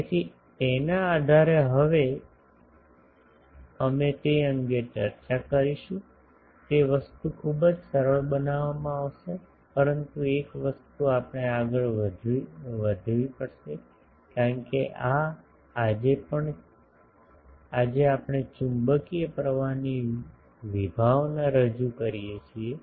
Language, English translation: Gujarati, So, based on that we will now discuss that; the thing it will be very simplified, but one thing we will have to proceed because this is today we introduce the concept of magnetic current